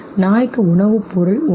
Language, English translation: Tamil, Food has the meaning for the dog